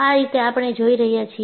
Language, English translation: Gujarati, This is the way we are looking at